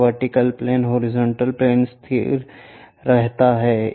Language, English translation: Hindi, This vertical plane, horizontal plane remains fixed